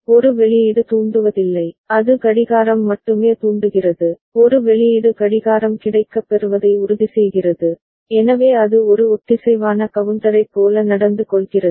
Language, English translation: Tamil, A output is not triggering, it is only the clock is triggering, A output is just ensuring that the clock is made available, so that way it is behaving like a synchronous counter ok